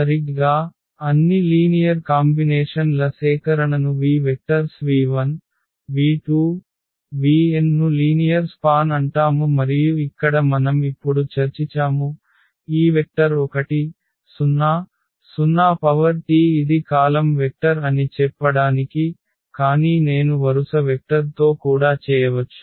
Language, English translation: Telugu, Exactly so, the collection of all linear combinations is called the linear span of v vectors v 1, v 2, v 3, v n and the problem here we will discuss now, is this vector 1, 0, 0 transpose just to tell that this is a column vector, but we can do also with the row vectors